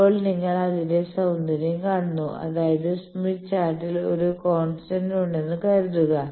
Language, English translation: Malayalam, Now, you see the beauty that suppose, I have in a smith chart a constant